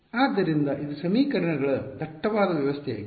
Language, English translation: Kannada, So, it was the dense system of equations